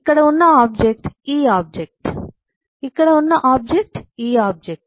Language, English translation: Telugu, the object here is this object